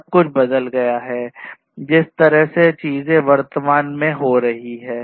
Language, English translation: Hindi, Everything has changed the way things are happening at present